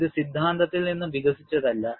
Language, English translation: Malayalam, It is not developed out of theory